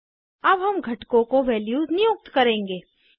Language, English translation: Hindi, We will now assign values to components